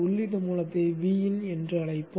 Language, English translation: Tamil, We'll call the input source as V In